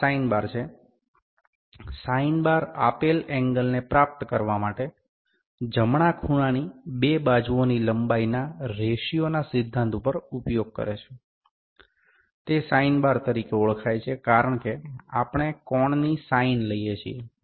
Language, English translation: Gujarati, This is the sine bar, the sine bar uses the principle of the ratio of the length of two sides of the right angle in deriving the given angle, it is known as sine bar, because we take the sine of the angle